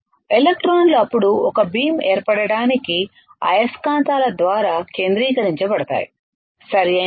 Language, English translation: Telugu, The electrons are then focused by magnets to form a beam, right